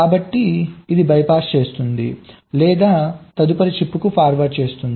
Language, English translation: Telugu, if it is not for this, it will bypass of forward to the next chip